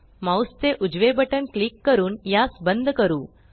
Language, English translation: Marathi, Let us close it by clicking the right button of the mouse